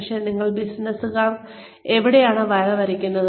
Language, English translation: Malayalam, But, where do you draw the line